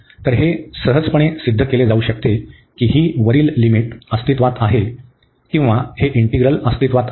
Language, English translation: Marathi, So, it can easily be proved that this above limit exist, so or this integral exist